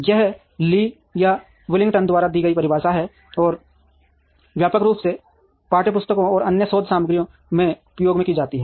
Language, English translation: Hindi, This is the definition given by Lee and Billington, and is widely used in text books and in other research material